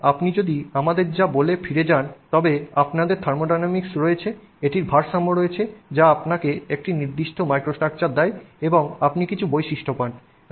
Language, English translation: Bengali, And then if you go back to what we said, you have thermodynamics, it results in equilibrium which gives you a certain microstructure and you get some properties